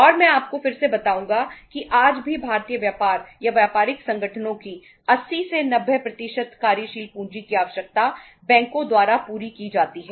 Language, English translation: Hindi, And I would again tell you that even today 80 90% of the working capital requirements of the Indian business or the business organizations is are fulfilled by the banks